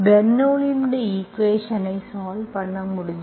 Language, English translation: Tamil, this is how we can solve the Bernoulli s equation